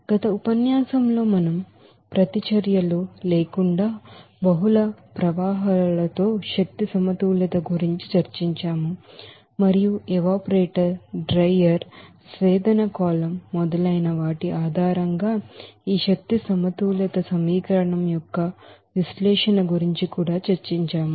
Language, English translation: Telugu, So in the previous lecture we have discussed about the energy balances with multiple streams without reactions and also the analysis of this energy balance equation based on the examples on evaporator, drier, distillation column, etc